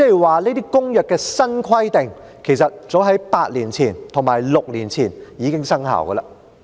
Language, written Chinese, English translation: Cantonese, 換言之，《公約》的新規定，其實早於8年前及6年前已經生效。, In other words the new requirements of the Convention have actually come into force since as early as eight years ago and six years ago respectively